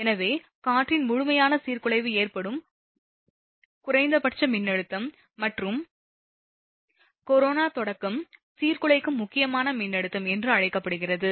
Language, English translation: Tamil, So, the minimum voltage at which complete disruption of air occurs, and corona start is called the disruptive critical voltage right